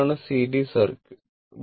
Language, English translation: Malayalam, So, this is the this is the series circuit